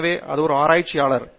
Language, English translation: Tamil, Therefore, I am a researcher